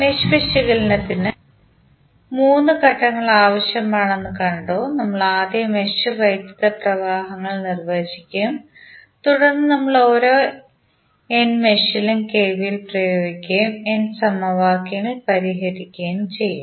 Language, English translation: Malayalam, And we saw that the three steps are required for the mesh analysis we have you will first define the mesh currents then you apply KVL at each of the n mesh and then solve the n simultaneous equations